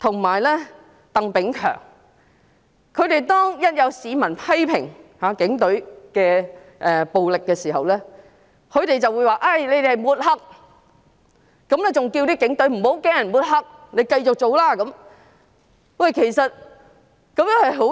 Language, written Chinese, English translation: Cantonese, 每當有市民批評警隊的暴力時，"林鄭"、李家超和鄧炳強便會說這是抹黑，還叫警隊不要怕被抹黑，要繼續如常工作，我認為這是十分不妥的。, Every time members of the public criticized police violence Carrie LAM John LEE and Chris TANG would call this mudslinging adding that the Police should not be afraid of being smeared and should continue to work as usual . I consider it grossly inappropriate . Now not only one or two people are unhappy with the Police